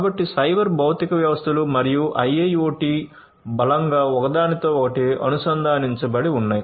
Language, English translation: Telugu, So, cyber physical systems and IIoT are strongly interlinked